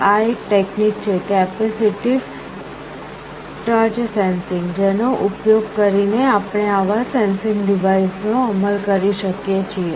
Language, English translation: Gujarati, This is one technology the capacitive touch sensing using which we can implement such kind of a sensing device